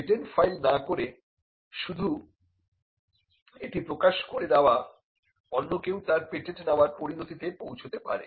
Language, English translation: Bengali, Now, not filing a patent application and merely publishing it could also lead to cases where it could be patented by others